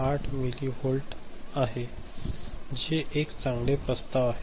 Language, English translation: Marathi, 8 millivolt ok, which is a better proposition